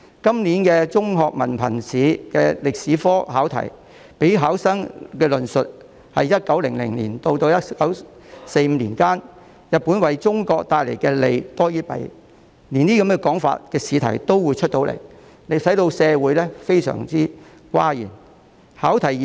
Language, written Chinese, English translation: Cantonese, 今年香港中學文憑考試的歷史科試題，要求考生論述 "1900 年至1945年間，日本為中國帶來的利多於弊"，竟然出現這樣的試題，令社會大感譁然。, In the history paper for the Diploma of Secondary Education Examination this year a question required candidates to discuss if Japan did more good than harm to China between 1900 and 1945 . This exam question has caused a great uproar in society